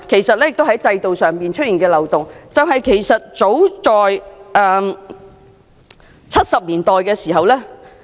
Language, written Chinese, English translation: Cantonese, 此外，制度上的另一漏洞其實早於1970年代已出現。, Another loophole in the system was actually identified in as early as the 1970s